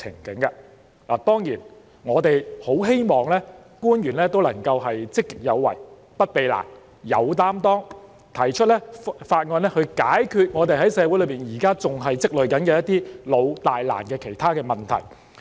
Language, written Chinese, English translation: Cantonese, 當然，我們很希望政府官員能夠積極有為、不避難、有擔當，提出法案解決社會上現時仍在積累的老、大、難問題。, Of course we very much hope that government officials can be proactive will not side - step difficulties but will take responsibility to put forward proposals to resolve the outstanding major and difficult problems that are still accumulating in our society